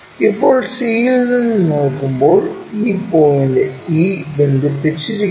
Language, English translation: Malayalam, Now, when we are looking from c this point e is connected